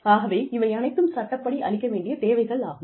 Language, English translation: Tamil, So, all of these things are required by law